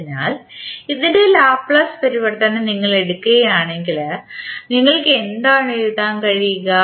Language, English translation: Malayalam, So, if you take the Laplace transform of this, what you can write